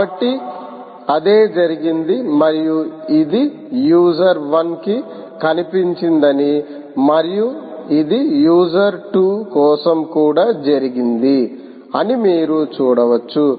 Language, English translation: Telugu, so thats what has happened and you can see that it has appeared for user one and it has also appeared for user two